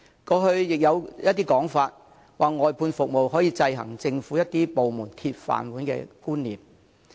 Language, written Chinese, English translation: Cantonese, 過去也有意見認為，外判服務可以制衡政府一些部門"鐵飯碗"的觀念。, In the past there was the view that outsourcing services can counteract the notion of iron rice bowls in some government departments